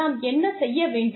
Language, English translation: Tamil, What we should do